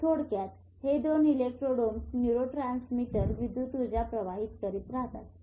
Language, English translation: Marathi, So between two electrodes these neurotransmitters jump the current